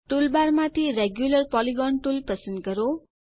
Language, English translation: Gujarati, Select Regular Polygon tool from the toolbar